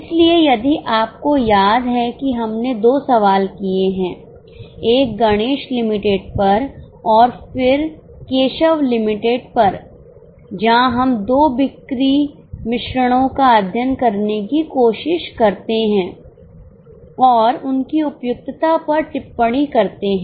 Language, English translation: Hindi, So, if you remember we had done two sums, one on Ganesh Limited and then on Keshav Limited where we try to study two sales mixes and comment on its on their suitability